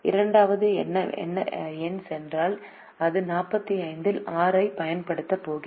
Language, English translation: Tamil, if the second number goes, it's going to use up six out of the forty five